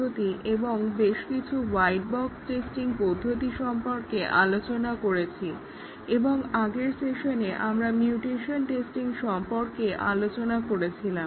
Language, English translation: Bengali, So far we had discussed about black box testing techniques and several white box testing techniques and in the last session, we were discussing about the mutation testing which is a fault based testing technique